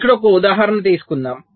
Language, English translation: Telugu, so lets take an example here